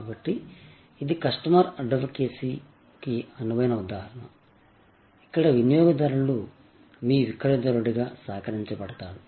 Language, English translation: Telugu, So, this is the ideal example of customer advocacy, where customer is co opted as your marketer